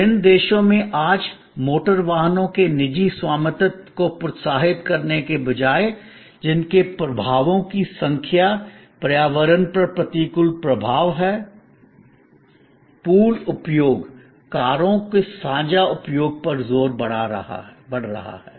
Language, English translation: Hindi, In various countries today instead of encouraging private ownership of motor vehicles, which has number of impacts, adverse impacts on the environment, there is an increasing emphasize on pooled usage, shared usage of cars